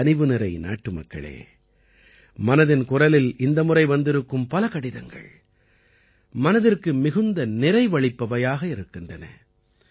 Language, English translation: Tamil, My dear countrymen, I have also received a large number of such letters this time in 'Man Ki Baat' that give a lot of satisfaction to the mind